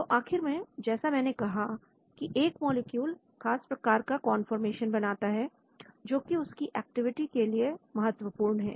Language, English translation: Hindi, So ultimately like I said the molecule occupies a certain conformation, which is very important for the activity